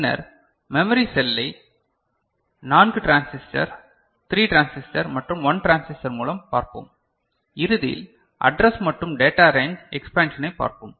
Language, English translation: Tamil, Then we shall look at memory cell by 4 transistor, 3 transistor and 1 transistor and at the end we shall look at address and data range expansion, right